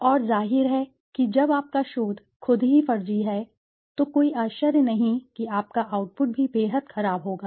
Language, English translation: Hindi, And obviously when your research itself the process is fraudulent then no wonder that your output also would be highly poor